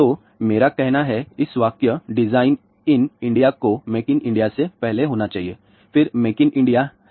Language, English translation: Hindi, So, my saying is; at this sentence should come before make in India which is design in India, then make in India